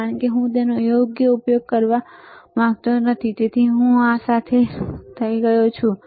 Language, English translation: Gujarati, Because I do not want to use it right so, I am done with this